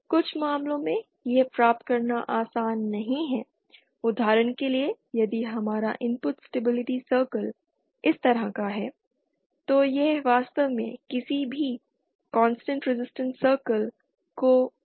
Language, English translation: Hindi, In some cases it may not be possible to obtain for example if our input stability circle be like this, it does not really touch any constant resistance circle